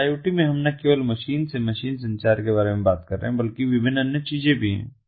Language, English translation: Hindi, so in iot we are talking about not only machine to machine communication but different other things as well